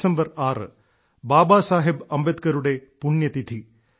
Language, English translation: Malayalam, This day is the death anniversary of Babasaheb Ambedkar on 6th December